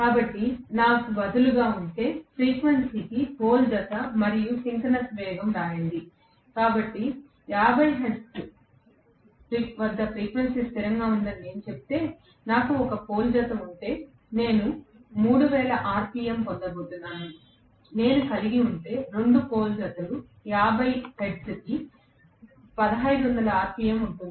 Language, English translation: Telugu, So, if I have instead, so let me write, pole pair and synchronous speed for the frequency, so if I say frequency remains constant at 50 hertz, if I have 1 pole pair I am going to get 3000 rpm, if I have 2 pole pairs it will be 1500 rpm for 50 hertz itself